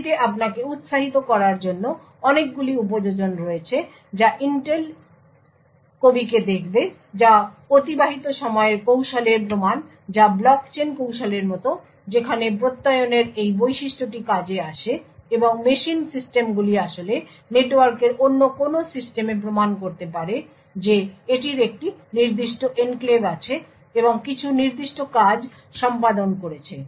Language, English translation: Bengali, This has a several applications your encourage will look at Intel poet that is a prove of elapsed time technique which is quit a technique for block chain, where this feature of Attestation is comes in handy and machines systems can actually proves to some other system on the network that it owns a certain enclave and has performed certain specific work